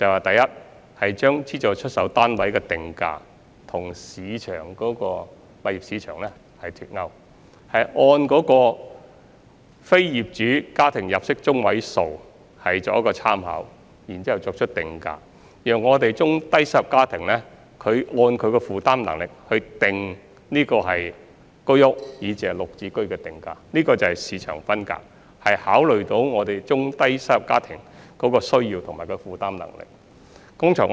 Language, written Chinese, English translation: Cantonese, 第一，我們把資助出售單位的定價與私人物業市場脫鈎，參考非業主家庭入息中位數作出定價，按中低收入家庭的負擔能力來定出居屋，以至"綠置居"的單位價格，這就是市場分隔，我們已考慮到中低收入家庭的需要和負擔能力。, First we delink the prices of SSFs with the market prices of private flats by referencing to the median monthly household income of non - owner occupier households in pricing SSFs and by considering the affordability of low - to middle - income families in pricing HOS flats and Green Form Subsidised Home Ownership Scheme flats . This is market segregation . We have already taken into account the need and affordability of low - to middle - income families